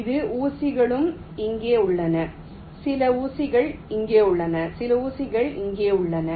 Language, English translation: Tamil, this is: some pins are here, some pins are here and some pins are also here